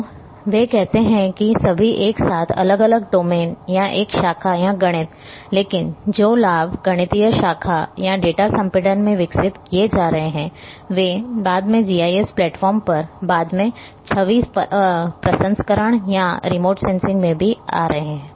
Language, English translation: Hindi, So, they say all together different domain or a branch or mathematics, but the benefits which are being developed in mathematical branch or data compression also are coming later on little later into GIS platform so in image processing or the remote sensing as well